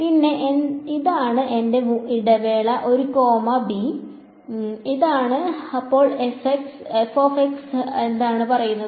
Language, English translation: Malayalam, And, this is my interval a comma b, this is f of x then what is it say